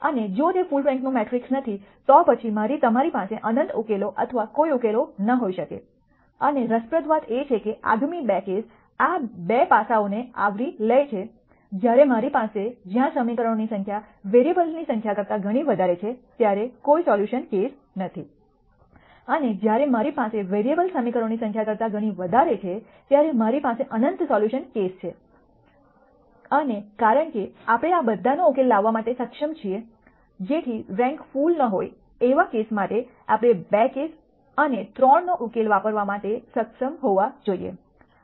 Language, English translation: Gujarati, And if it is not a full rank matrix then you could have in nite solutions or no solutions, and interestingly the next 2 cases covers these 2 aspects when I have lot more equations than variables I have a no solution case, and when I have lot more variables than equations I have infinite solution case and since we are able to solve all the 3 we should be able to use the solution to the case 2 and 3 for the case one where the rank is not full